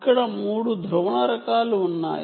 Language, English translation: Telugu, there are three polarization types